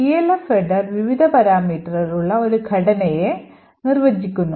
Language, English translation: Malayalam, So, the Elf header defines a structure with various parameters